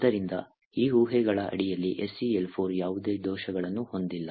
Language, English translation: Kannada, Therefore, under these assumptions SeL4 does not have any vulnerabilities